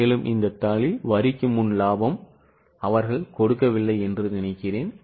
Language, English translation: Tamil, I think in this sheet they had not given profit before tax